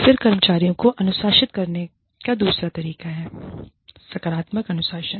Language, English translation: Hindi, Then, the other way of disciplining employees is, positive discipline